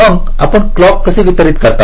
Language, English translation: Marathi, so how do you distribute the clock